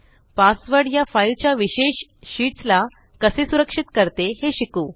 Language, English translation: Marathi, Lets learn how to password protect the individual sheets from this file